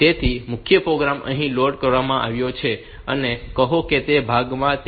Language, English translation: Gujarati, So, the main program this one has been loaded and say in this part